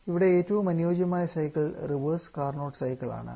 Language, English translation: Malayalam, The most ideal cycle there, is the reverse Carnot cycle